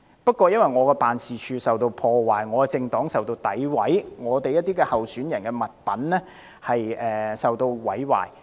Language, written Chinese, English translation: Cantonese, 但我的辦事處受到破壞，我的政黨受到詆毀，我們一些候選人的物品受到毀壞。, But my office was damaged my political party defamed and the materials of some of our candidates were destroyed